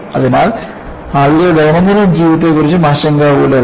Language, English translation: Malayalam, So, people were worried with day to day living